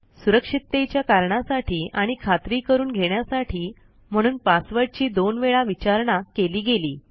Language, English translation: Marathi, The password is asked twice for security reasons and for confirmation